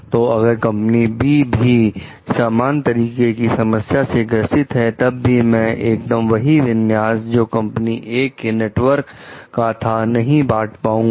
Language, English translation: Hindi, So, even if company B is facing the same kind of problem, maybe I will not be able to share the exact like configuration of company A s network